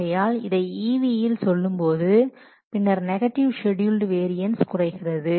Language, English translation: Tamil, So if we will express this thing in these EV terms then a negative schedule variance may be reduced